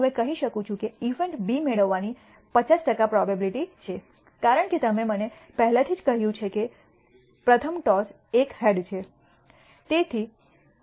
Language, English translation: Gujarati, I can tell now there is a 50 percent chance of getting probability event B, because you have already told me that the first toss is a head